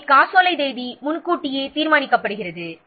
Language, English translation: Tamil, So, here, date of the check is predetermined